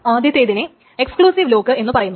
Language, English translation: Malayalam, The first one is called an exclusive lock